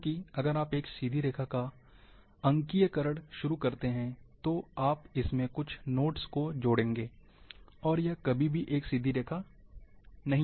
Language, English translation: Hindi, Because if you start digitizing a straight line, you will add few more inter nodes, and that will never be a straight line